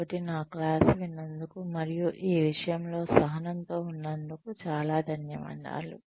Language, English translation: Telugu, So, thank you very much for listening to me, and being patient with this